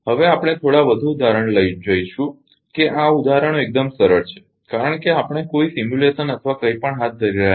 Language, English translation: Gujarati, Now we will see few more example this examples are ah quite easy one ah it because we are not carrying out any simulation or anything